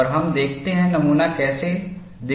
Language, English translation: Hindi, And let us see, how the specimen looks like